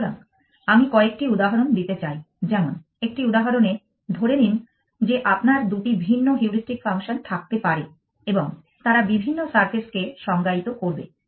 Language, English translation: Bengali, So, I would want to take a couple of examples one example to illustrate that you can have two different heuristic functions and they will define different surfaces